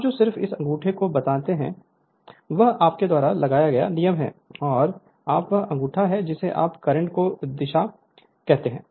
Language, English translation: Hindi, The plus one you just make this your thumb is right hand rule you put and you are the thumb is your what you call the direction of the current